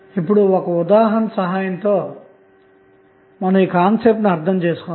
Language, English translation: Telugu, Now, let us understand the concept with the help of one example